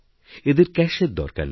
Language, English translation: Bengali, It does not need cash